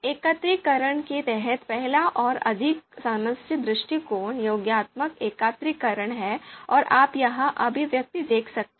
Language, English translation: Hindi, So you can see here you know there are a first and more common approach under aggregation is additive aggregation and you can see the expression here